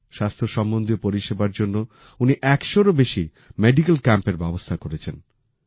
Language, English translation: Bengali, To improve the health of the people, he has organized more than 100 medical camps